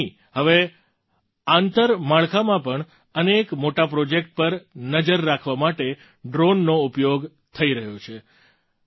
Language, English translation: Gujarati, Not just that, drones are also being used to monitor many big infrastructure projects